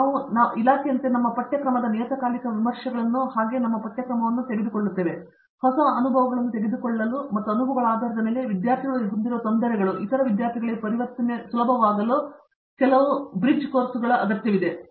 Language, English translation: Kannada, And, we also in the department as a department we go through a periodic reviews of our curriculum as well as our syllabus to take into account new things that have taken place and also to see whether in a based on a experiences, difficulties that students have, whether some bridge courses are required to make the transition easy for such student